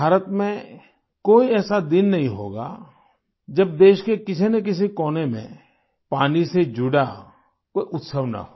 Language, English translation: Hindi, There must not be a single day in India, when there is no festival connected with water in some corner of the country or the other